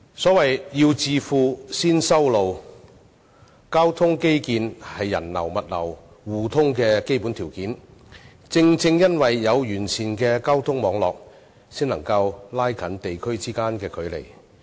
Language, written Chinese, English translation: Cantonese, 所謂"要致富，先修路"，交通基建是人流、物流互通的基本條件，而正正因為有完善的交通網絡，才能夠拉近地區之間的距離。, As the saying goes To get rich build roads first . Transport infrastructure is the basic criterion for interchange of people and goods and it is precisely because of a comprehensive transport network that various regions may be drawn closer